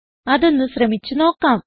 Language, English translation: Malayalam, We can try that now